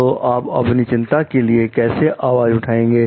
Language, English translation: Hindi, So, how do you go about voicing your concern